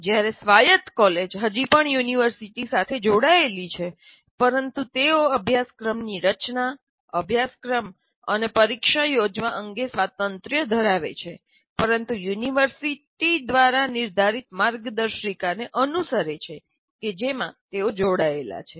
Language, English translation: Gujarati, Whereas autonomous college is still affiliated to a university, but they have autonomy with respect to the curriculum design and conducting the course and conducting the examination, but with following some guidelines stipulated by the university to which they're affiliated